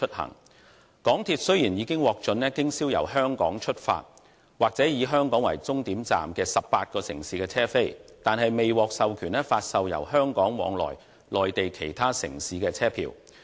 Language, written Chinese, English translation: Cantonese, 香港鐵路有限公司雖然已經獲准經銷由香港出發或以香港為終站的18個城市的車票，但卻未獲授權發售由香港往來內地其他城市的車票。, While the MTR Corporation Limited MTRCL has been approved to sell tickets for 18 cities departing from or terminating at Hong Kong it has not been authorized to sell tickets between Hong Kong and other Mainland cities